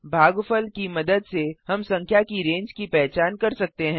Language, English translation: Hindi, With the help of the quotient we can identify the range of the number